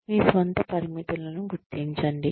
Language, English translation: Telugu, Recognize your own limitations